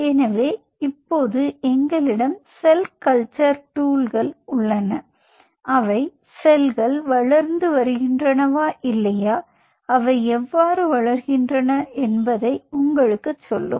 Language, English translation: Tamil, we have the cell culture tools which will tell you the cells are growing or not and how they are growing